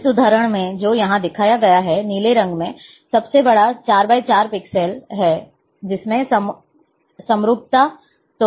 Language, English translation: Hindi, In this example, which is shown here, in the blue colour, is the largest 4 by 4 pixels largest, which is having homogeneity